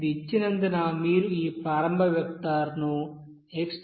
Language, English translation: Telugu, Since it is given that you have to assume this initial vector as x0 is equal to 0